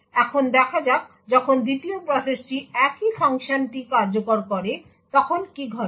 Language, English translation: Bengali, Now let us see what would happen when the 2nd process executes the exact same function